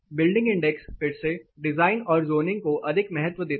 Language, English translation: Hindi, Building index again gives more importance to the design and zoning